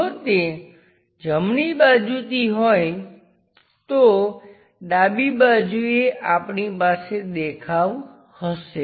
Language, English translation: Gujarati, If it is from right side, on to left side we will have a view there